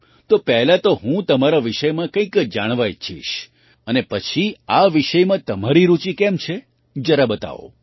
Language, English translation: Gujarati, So, first I would like to know something about you and later, how you are interested in this subject, do tell me